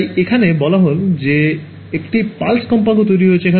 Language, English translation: Bengali, So, here they say they are making a pulse kind of a frequency